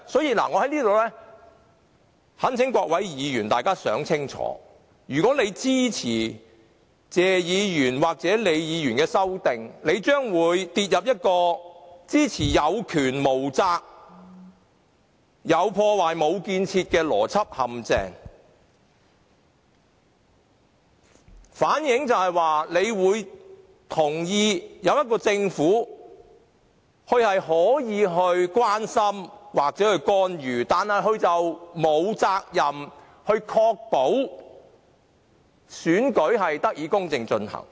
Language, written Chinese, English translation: Cantonese, 我在這裏懇請各位議員想清楚，他們若支持謝議員或李議員的修正案，將墮入一個支持有權無責，"有破壞，無建設"的政府的邏輯陷阱，反映出他們同意中央政府可以關心或干預特首選舉，但沒有責任確保選舉得以公正進行。, May I earnestly ask all Members to think very carefully . If they support the amendments of Mr TSE or Ms LEE they will fall into the logical trap of supporting a government which has the power but not the duty and which does all harm but nothing constructive . This reflects that they agree that the Central Government may show concern or interfere in the Chief Executive Election but it has no duty to ensure the fair conduct of the election